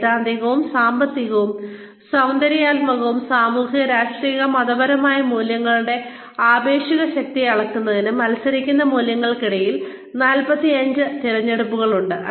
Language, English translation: Malayalam, There are 45 choices, among competing values, in order to, measure the relative strength of, theoretical, economic, aesthetic, social political, and religious values